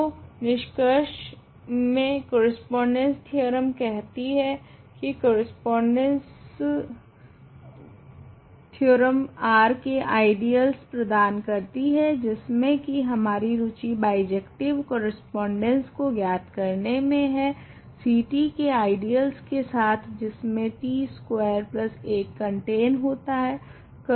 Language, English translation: Hindi, So, now the conclusion of the correspondence theorem says that, correspondence theorem gives ideals of R which is what we are interested in finding are in bijective correspondence with ideals of C t that contain t squared plus 1 right